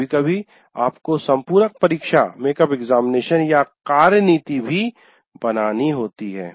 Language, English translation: Hindi, And sometimes you have make up examination or work policy